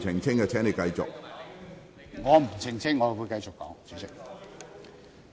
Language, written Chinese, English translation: Cantonese, 主席，我不會澄清，我會繼續發言。, President I will not clarify . I will continue with my speech